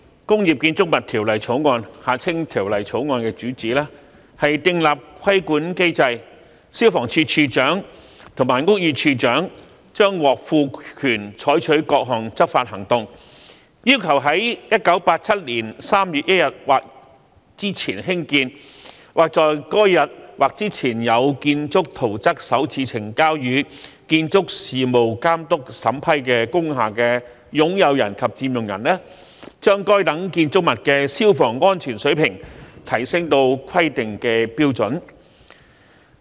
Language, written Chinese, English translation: Cantonese, 代理主席，《消防安全條例草案》的主旨是定立規管機制，消防處處長及屋宇署署長將獲賦權採取各項執法行動，要求在1987年3月1日或之前興建，或在該日或之前有建築圖則首次呈交予建築事務監督審批工廈的擁有人及佔用人，把該等建築物的消防安全水平提升至規定的標準。, Deputy President the Fire Safety Bill the Bill seeks to provide for a regulatory mechanism under which the Director of Fire Services and the Director of Buildings will be empowered to take various enforcement actions to require owners and occupiers of industrial buildings constructed or with building plans first submitted to the Building Authority for approval on or before 1 March 1987 to upgrade the fire safety of such buildings to the required standards